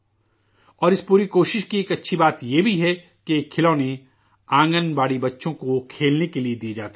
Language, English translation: Urdu, And a good thing about this whole effort is that these toys are given to the Anganwadi children for them to play with